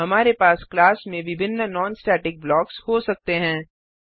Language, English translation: Hindi, We can have multiple non static blocks in a class